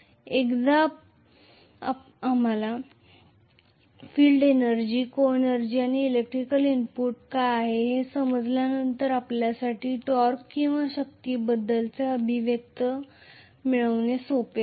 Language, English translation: Marathi, Once we understand field energy, coenergy and what is the electrical input it will be easy for us to derive the expression for the torque or force